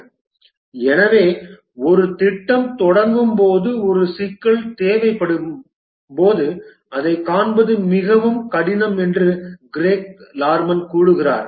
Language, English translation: Tamil, Craig Lerman says that when a project starts, it's very difficult to visualize all that is required